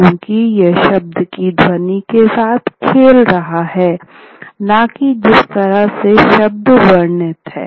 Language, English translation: Hindi, Oral, because it's playing with the sound of the word, not the way the word is spelled